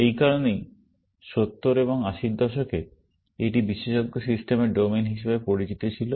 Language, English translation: Bengali, That is why, in the 70s and 80s, this was known as the domain of expert systems